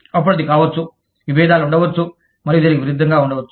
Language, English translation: Telugu, Then, it can be, there can be conflicts, and vice versa